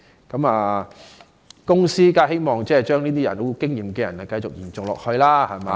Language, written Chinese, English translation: Cantonese, 公司當然希望這些有經驗的人繼續工作下去......, Employers certainly hope that their experienced staff members can continue to work for them